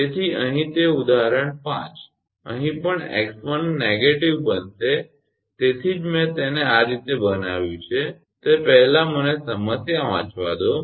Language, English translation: Gujarati, So, here that example – 5, here also x 1 will become negative that is why I have made it this way first let me read the problem